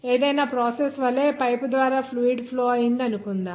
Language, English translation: Telugu, Like any process, suppose there is a flow of fluid through the pipe